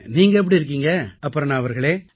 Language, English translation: Tamil, How are you, Aparna ji